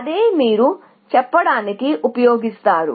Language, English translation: Telugu, That is what you use to say